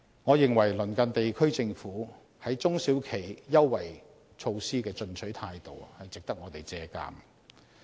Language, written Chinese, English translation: Cantonese, 我認為鄰近地區政府，在中小企優惠措施的進取態度值得我們借鑒。, I consider that as far as preferential measures for SMEs are concerned we should make reference to the aggressive attitude of the governments in our neighbouring regions